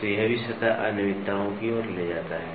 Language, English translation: Hindi, So, this also leads to surface irregularities